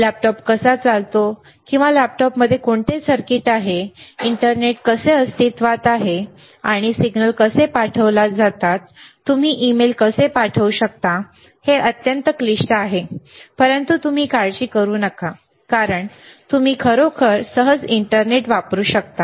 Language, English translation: Marathi, If you really see how laptop operates or how the what are the circuits within the laptop, or how the internet is you know comes into existence, and how the signals are sent, how you can send, an email, it is extremely complicated, super complicated, but do not you worry no because you can easily use internet